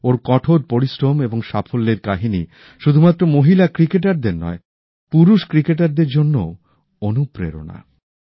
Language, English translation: Bengali, The story of her perseverance and success is an inspiration not just for women cricketers but for men cricketers too